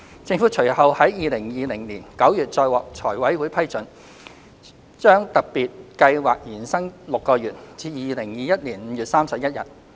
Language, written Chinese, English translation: Cantonese, 政府隨後在2020年9月再獲財委會批准，把特別計劃延伸6個月至2021年5月31日。, The Government subsequently obtained approval from FC to extend this Special Scheme for another six months to 31 May 2021